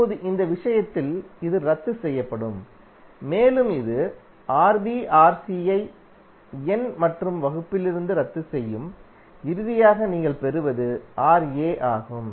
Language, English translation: Tamil, Now in this case, this will cancel and also it will cancel out Rb Rc from numerator and denominator and finally what you get is Ra